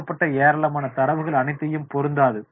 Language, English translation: Tamil, Lots of data are provided, not all will be relevant